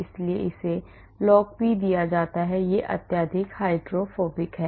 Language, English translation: Hindi, so it is given log p it is highly hydrophobic